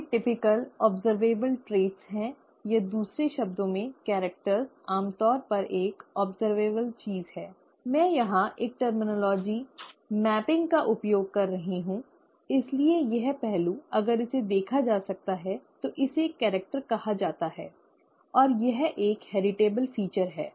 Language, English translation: Hindi, Those are, those are typical those are typical observable traits, or in other words, the characters usually an observable thing, I am just using a terminology mapping here, so this aspect, if it can be observed, it is called a character, and it is a heritable feature